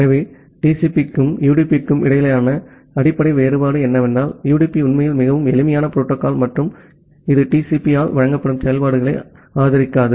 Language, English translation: Tamil, So, the basic difference between the TCP and UDP is that: UDP actually is a very simple protocol and it does not support the functionalities which are provided by TCP